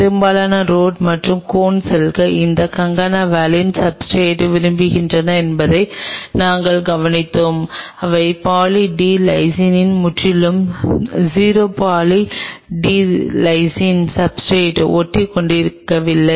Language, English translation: Tamil, And we observed that most of the rods and cones cells prefer that concana valine substrate, they do not at all adhere on Poly D Lysine absolutely 0 adherence to Poly D Lysine substrate